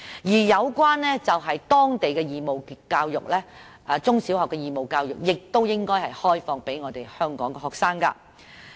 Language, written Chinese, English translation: Cantonese, 此外，當地中小學的義務教育也應該開放予香港學生。, Besides the compulsory education offered in local primary schools and high schools should also be opened to Hong Kong students